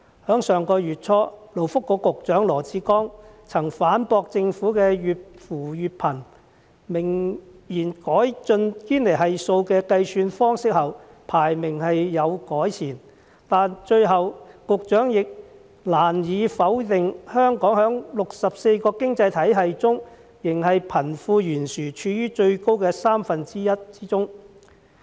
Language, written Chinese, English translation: Cantonese, 在上月初，勞工及福利局局長羅致光曾反駁政府越扶越貧的說法，明言改進堅尼系數的計算方式後，本港排名是有改善的，但最後局長亦難以否定香港在64個經濟體系中，仍是貧富懸殊處於最高的三分之一之中。, Early last month the Secretary for Labour and Welfare Dr LAW Chi - kwong refuted the criticism that the Governments poverty alleviation efforts had aggravated the poverty problem arguing that Hong Kongs ranking improved after the calculation of the Gini Coefficient had been adjusted . But at the end of the day the Secretary could not deny the fact that Hong Kong was still among the top one third of 64 economies in terms of wealth disparity